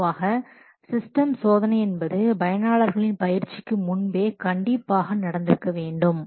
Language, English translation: Tamil, Normally the system testing must be or should be conducted before commencing the user training